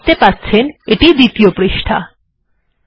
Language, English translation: Bengali, Okay you can see it here, this is the second page